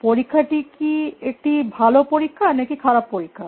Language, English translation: Bengali, So, is it a good test or a bad test